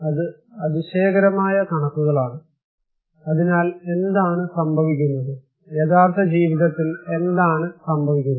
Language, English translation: Malayalam, That is amazing figures right, so what is happening then, what is actually happening in the real life